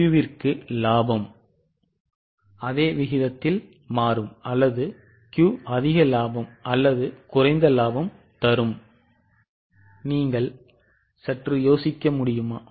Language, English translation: Tamil, So, for Q also the profit will change in the same proportion or Q will be more profitable or less profitable